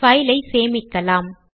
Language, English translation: Tamil, Let us save the file